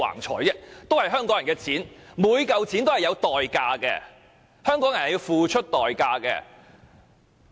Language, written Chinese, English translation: Cantonese, 這也是香港人的錢，每一分錢也是有代價的，香港人是要付出代價的。, This is Hong Kong peoples money a sum in which every cent is earned at a price by the Hong Kong people